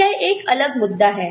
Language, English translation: Hindi, So, that is another issue